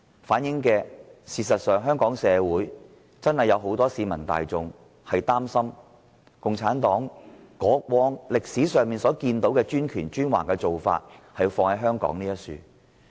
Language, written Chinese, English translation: Cantonese, 反映香港確有很多市民擔心，共產黨會把歷史上的專權和專橫做法施加於香港。, They reflected that many people were worried about the Communist Party exercising autocratic and tyrannical power over Hong Kong as it did in history